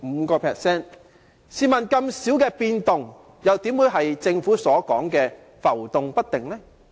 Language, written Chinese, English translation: Cantonese, 試問這麼少的變動，怎會是政府所說的浮動不定呢？, With such a small change how will it be fluctuating as mentioned by the Government?